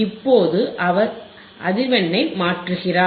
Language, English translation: Tamil, and n Now he is changing the frequency